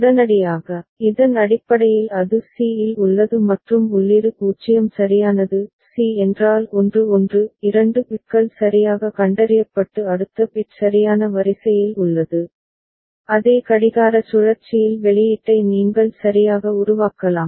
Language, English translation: Tamil, Immediately, based on this that it is at c and input is 0 right; c means 1 1 – two bits are properly detected and next bit is also in the right order, you can generate the output in the same clock cycle itself right